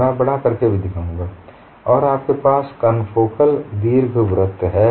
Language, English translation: Hindi, I will also zoom in and show you have confocal ellipses